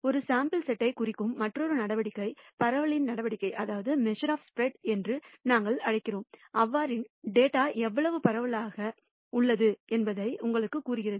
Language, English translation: Tamil, The another measure which characterizes a sample set is what we call the measures of spread and tells you how widely their data is ranging